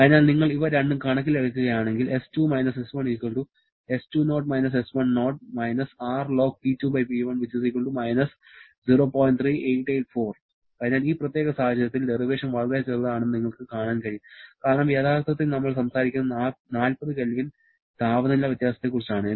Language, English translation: Malayalam, So, in this particular case, you can see that the derivation is extremely small because actually we are talking about only 40 Kelvin temperature difference